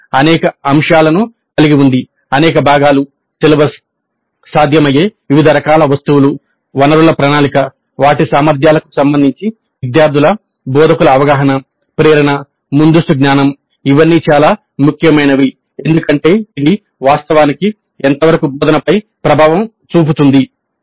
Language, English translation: Telugu, So, this has several aspects, several components, celibus with a variety of items which are possible, then planning for resources, then instructors perception of students with regard to their abilities, motivation, prerequisite knowledge, these are all very important because that has a bearing on how actually the instruction takes place